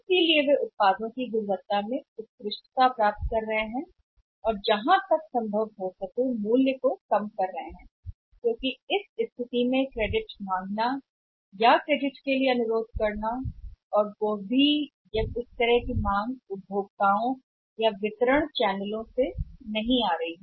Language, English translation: Hindi, So, they are achieving excellence in the in the quality of the products and they are reducing the prices to the extent that in this situation seeking the credit or requesting for the credit also this kind of demands are not coming from the customer the distribution channels also